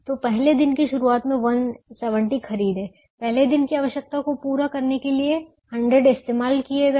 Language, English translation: Hindi, bought at the beginning of the day, one hundred used on the first day to meet the requirement of the first day